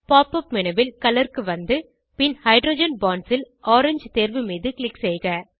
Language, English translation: Tamil, From the Pop up menu scroll down to Color then Hydrogen Bonds then click on orange option